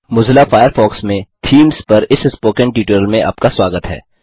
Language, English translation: Hindi, Welcome to this spoken tutorial on Themes in Mozilla Firefox